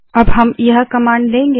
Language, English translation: Hindi, Next we will add this command